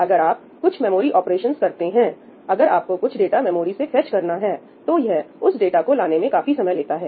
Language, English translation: Hindi, If you do some memory operation , if you want to fetch some data from the memory, it takes a substantial amount of time for that data to come